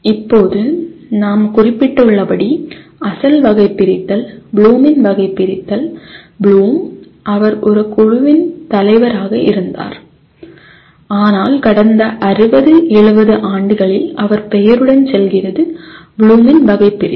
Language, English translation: Tamil, Now the as we mentioned, the original taxonomy, Bloom’s taxonomy, Bloom, of course he was a chairman of a committee that came out with but it the last 60, 70 years it goes with the name of as Bloom’s taxonomy